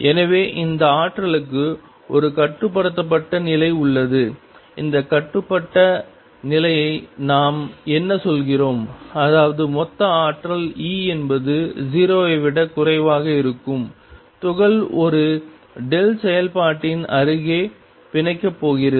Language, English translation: Tamil, So, there is a bound state for this potential; what do we mean by that bound state; that means, total energy E is going to be less than 0 the particle is going to be bound near a delta function